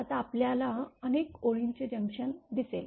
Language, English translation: Marathi, Now, we will see the junction of several lines right